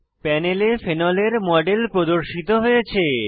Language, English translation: Bengali, A Model of phenol is displayed on the panel